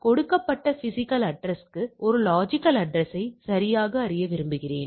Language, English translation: Tamil, So, that is from if given a physical address a logical addressing I want to know the logical address right